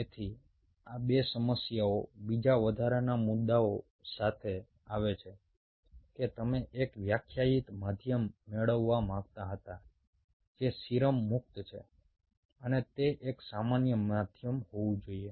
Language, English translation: Gujarati, so these two problem comes with another additional issue: that you wanted to have a defined medium which is a serum free and it should be a common medium